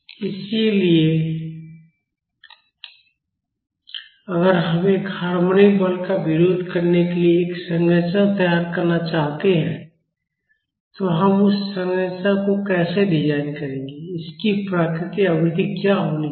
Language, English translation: Hindi, So, if we want to design a structure to resist a harmonic force, how will we design that structure, what should be its natural frequency